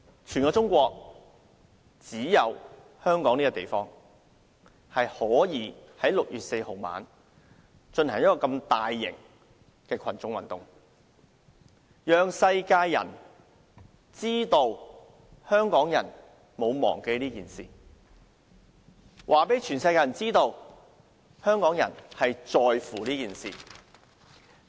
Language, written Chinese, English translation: Cantonese, 全中國只有香港這個地方可以在6月4日晚上進行這麼大型的群眾運動，讓世人知道香港人沒有忘記這件事，讓世人知道香港人在乎這件事。, Hong Kong is the one and only place in China where a mass movement of such a large scale can be held on the night of 4 June telling people all over the world that Hongkongers have not forgotten this incident that Hongkongers care about this incident